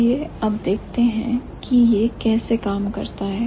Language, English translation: Hindi, So, now let's see how it works